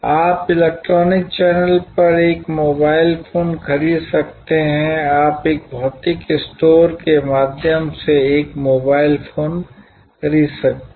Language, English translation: Hindi, You may buy a mobile phone over the electronic channel; you can buy a mobile phone through a physical store